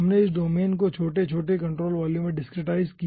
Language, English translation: Hindi, we discretized this domain into small, small ah control volumes